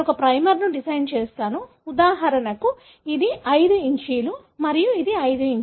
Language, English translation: Telugu, I design a primer, for example, this is 5’, and this is 5’